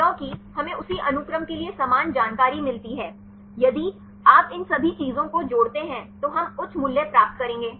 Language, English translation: Hindi, Because we get the same information for the same sequence; that case you can if you add up all these things, we will get a high value